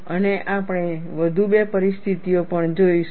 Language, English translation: Gujarati, And, we will also see, two more situations